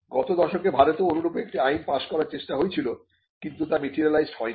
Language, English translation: Bengali, There was an attempt to pass a similar Act in the last decade, but that did not materialize in India